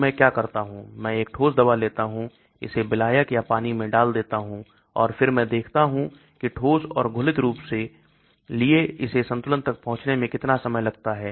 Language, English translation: Hindi, So what I do is I take a solid drug, put it in the solvent or water and then I will see how long it takes for it to reach equilibrium for the solid and the dissolved form